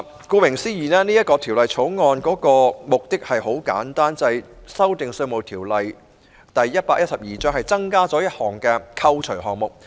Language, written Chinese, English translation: Cantonese, 顧名思義，《條例草案》的目的很簡單，就是修訂《條例》並增加一個扣除項目。, As the name of the Bill suggests the purpose of the Bill is very simply to amend the Ordinance and introduce a deduction item